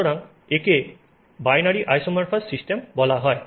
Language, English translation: Bengali, So, this is called a binary isomorphous system